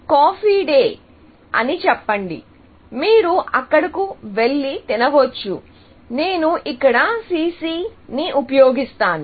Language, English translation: Telugu, Let us say Coffee Cafe Day; you can go and eat there, which I will use CC here